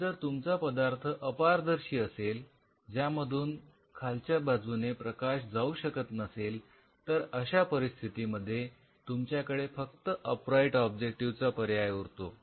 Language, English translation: Marathi, But since your substrate is opaque it is not allowing any light to come from the bottom your only option is to use an upright objective in that situation